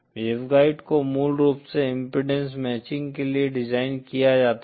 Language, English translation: Hindi, The waveguide has to be basically designed to produce an impedance matching